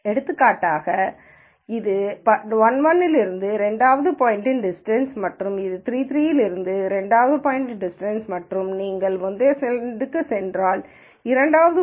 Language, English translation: Tamil, So, for example, this is a distance of the second point from 1 1 and this is a distance of the second point from 3 3 and if you go back to the previous slide, the second point is the second point is actually 1